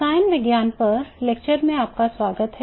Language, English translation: Hindi, Welcome back to the lectures on chemistry